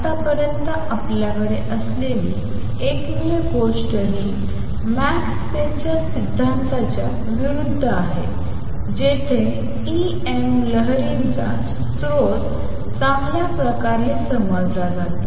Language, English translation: Marathi, So far, the only thing that we have is this is in contrast with is the Maxwell’s theory where source of E m waves is well understood